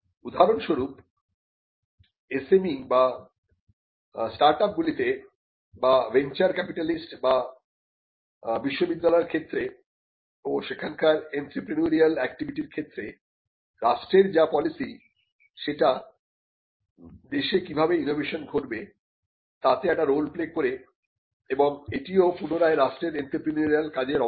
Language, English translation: Bengali, For instance, the policy that it has on SME’s or on startups and the policies it has on venture capitalist or the policies the state has on universities and the entrepreneurial activity there, these can also play a role on how innovation happens in a country and this is again a part of the entrepreneurial function of the state